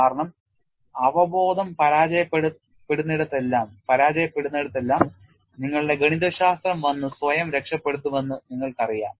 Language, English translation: Malayalam, Because wherever intuition fails, you know your mathematics has to come and rescue yourself